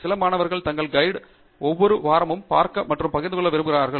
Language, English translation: Tamil, Some students would like to see their advisors every week and share